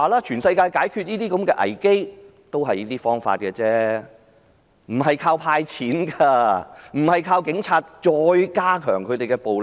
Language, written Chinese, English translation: Cantonese, 全世界解決這類危機均用這些方法，不是依靠"派錢"，不是再加強警察的暴力。, All over the world crises of such kind are solved by such approaches not by handing out cash nor intensifying police brutality